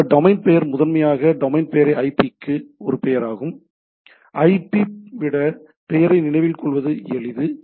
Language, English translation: Tamil, That domain resolution is primarily for IP to a sorry domain name a name to IP and it is easier to remember name then IP